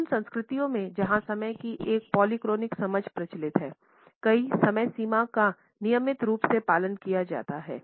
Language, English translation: Hindi, In those cultures where a polychronic understanding of time is prevalent, multiple timelines are routinely followed